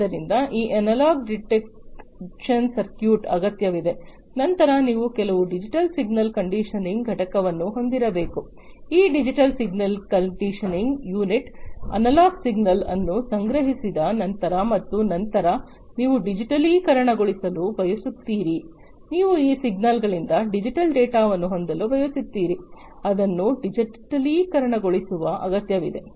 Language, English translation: Kannada, So, this analog detection circuit is required, then you need to have some digital signal conditioning unit, this digital signal conditioning unit will, you know, after the analog signal is collected and then you want to digitize you want to have digital data out of the signals you need to digitize it